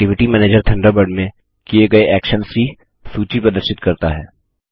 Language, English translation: Hindi, This is simple too.The Activity Manager displays the list of actions carried out in Thunderbird